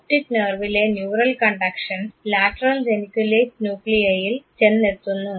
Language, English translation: Malayalam, The neural conduction in the optic nerve reaches the lateral geniculate nuclei